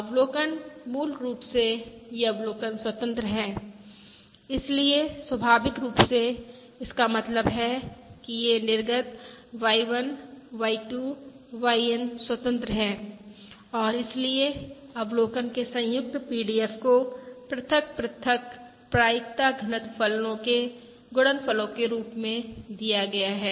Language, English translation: Hindi, so that naturally means that these outputs Y1, Y2… YN are independent and therefore the joint PDF of the observation is given as the product of the individual probability density functions